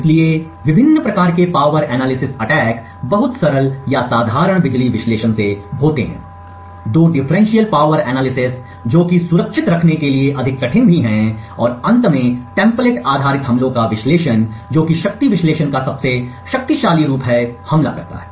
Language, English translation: Hindi, So there are various types of power analysis attacks ranging from very simple or the simple power analysis, two differential power analysis which is far more difficult and also far more difficult to protect and finally the template based attacks which is the most powerful form of power analysis attacks